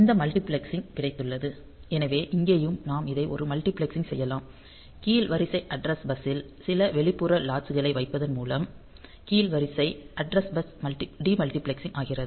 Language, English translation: Tamil, So, we have got these multiplexing; so, here also we can have a multiplexing of this; lower order address bus; demultiplixing of the lower order address bus by putting some external latch